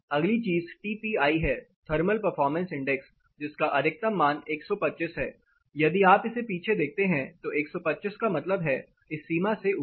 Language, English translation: Hindi, The next thing is the TPI; thermal performance index maximum of 125 if you recollect it, 125 here means above in this range